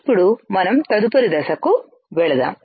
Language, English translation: Telugu, Let us now go to the next step